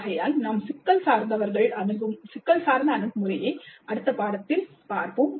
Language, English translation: Tamil, So we look at the problem based approach to instruction in the next unit